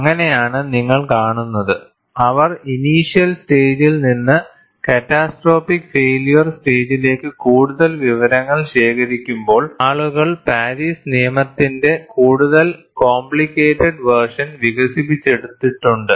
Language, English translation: Malayalam, And that is how you would see, when they collect more data from the initiation stage to catastrophic failure state, people have developed more complicated versions of Paris law